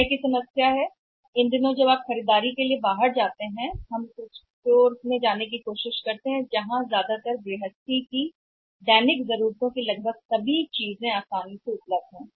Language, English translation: Hindi, Time is the problem, these days when we go out for the shopping when you go out for the shopping we tried to go to a store where almost all the things of household are the one for the daily needs are easily available